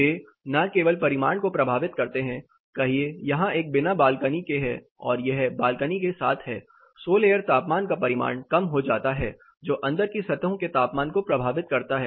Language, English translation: Hindi, They not only affect the magnitude, say here this is without balcony this is with balcony, you know magnitude of solar temperature the peak sol air temperature reduces which affects the indoor surfaces temperature